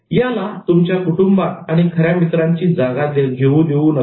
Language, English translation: Marathi, Don't let it replace your family and true friends